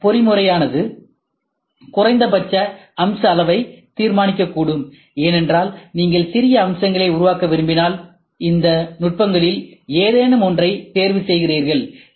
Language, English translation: Tamil, This mechanism may also determine the minimum feature size as well because, if you want to make small features, you try to choose any of this techniques